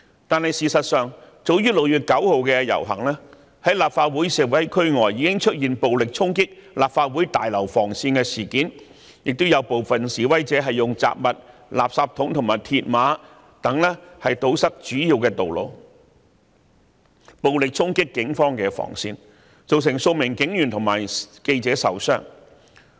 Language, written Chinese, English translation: Cantonese, 但事實上，早於6月9日的遊行，在立法會示威區外已出現暴力衝擊立法會綜合大樓防線的事件，亦有部分示威者以雜物、垃圾桶和鐵馬等堵塞主要道路，暴力衝擊警方防線，造成數名警員和記者受傷。, In fact however as early as during the procession on 9 June outside the demonstration area of the Legislative Council Complex there were incidents of violent charges at the cordon lines of the Legislative Council Complex . Some of the protesters also used rubbish bins mills barriers and various kinds of objects to block main roads . They violently charged at the police cordon lines resulting in several police officers and reporters being wounded